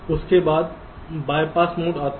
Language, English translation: Hindi, then comes the bypass mode